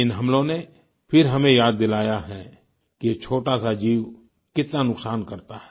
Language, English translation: Hindi, These attacks again remind us of the great damage this small creature can inflict